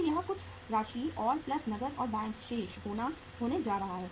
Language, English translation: Hindi, So this is going to be some amount and plus cash and bank balances